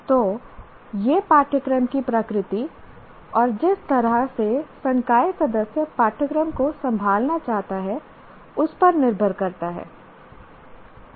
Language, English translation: Hindi, So it depends on the nature of the course and the way the faculty member wants to handle the course